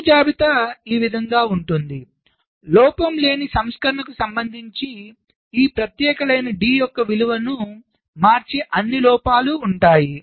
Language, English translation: Telugu, so fault list will look like this fault list will consists of all the faults that will change the value of this particular line d with respect to the fault free version